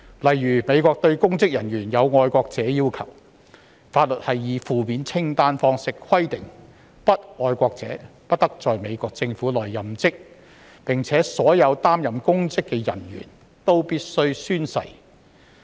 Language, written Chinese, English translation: Cantonese, 例如，美國對公職人員有"愛國者"要求，法律以負面清單方式規定，不愛國者不得在美國政府內任職，而且所有擔任公職的人員均必須宣誓。, For example there is a patriot requirement for public officers in the United States . The law stipulates in the form of a negative list that non - patriots may not serve in the United States Government and all public officers must take an oath